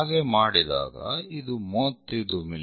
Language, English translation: Kannada, So, it is 35 mm